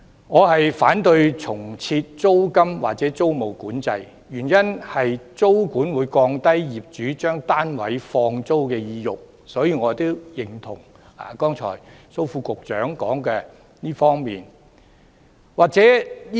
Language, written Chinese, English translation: Cantonese, 我反對重設租金或租務管制，原因是租管會降低業主將單位放租的意欲，所以我認同剛才蘇副局長對這方面提出的意見。, I oppose the reintroduction of rental or tenancy control for the reason that tenancy control will reduce landlords incentive to let their flats . Therefore I agree with the views presented by Under Secretary Dr Raymond SO just now in this respect